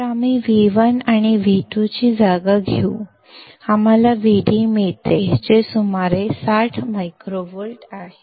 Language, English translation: Marathi, So, we will substitute for V1 and V2; we get V d which is about 60 microvolts